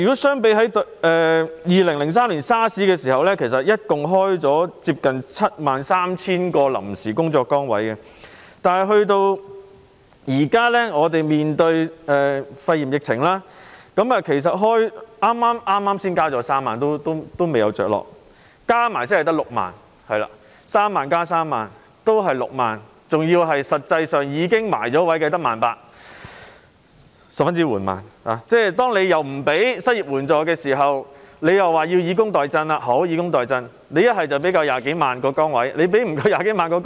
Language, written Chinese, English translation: Cantonese, 相較2003年 SARS 時期，當時合共開設接近 73,000 個臨時工作崗位，但面對肺炎疫情，當局剛剛才宣布開設3萬個職位，但仍未落實，加上先前開設的職位才是6萬個職位 ——3 萬個職位加上3萬個職位，只有6萬個職位——而實際上已落實的更只有 18,000 個，這是十分緩慢的。, Compared with the SARS outbreak in 2003 a total of nearly 73 000 temporary jobs were created at that time . Now in the face of the coronavirus epidemic the authorities have just announced the creation of 30 000 jobs which have not yet been implemented . Taking into account the jobs created some time ago the total is merely 60 000 jobs―the sum of 30 000 jobs and 30 000 jobs is 60 000 jobs―and only 18 000 jobs have actually been created